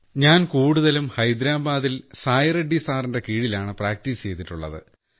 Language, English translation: Malayalam, Mostly I have practiced in Hyderabad, Under Sai Reddy sir